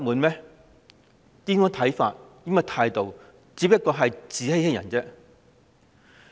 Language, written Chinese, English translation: Cantonese, 這種看法和態度只是自欺欺人。, This view and attitude are just for deceiving oneself and others